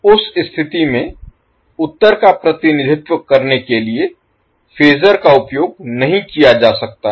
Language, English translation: Hindi, In that case, the phasor form cannot be used for representing the answer